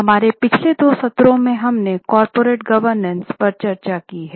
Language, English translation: Hindi, Namaste In our last two sessions we have discussed on corporate governance